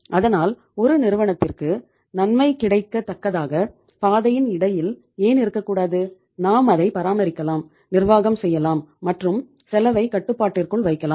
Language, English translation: Tamil, So why not to have the path in between, that which is good for the firm also, we can maintain it also, we can manage it also and we can keep the cost under control